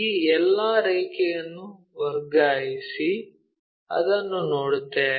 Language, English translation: Kannada, Transfer all these lines, so that we will see, this one